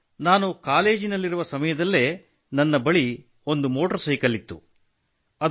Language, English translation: Kannada, Sir, I had a motorcycle when I was in college